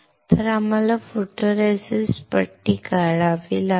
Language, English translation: Marathi, So, we have to strip the photoresist